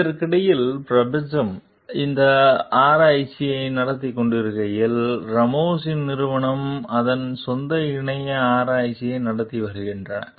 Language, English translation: Tamil, Meanwhile, while the universe it is conducting this research, Ramos s companies conducting its own parallel research